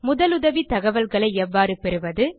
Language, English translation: Tamil, How to obtain information on first aid